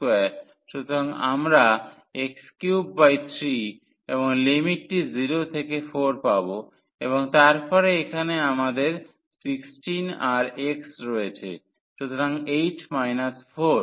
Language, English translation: Bengali, So, we will get x cube by 3 and the limits 0 to 4 and then here we have the 16 and then x; so, 8 minus 4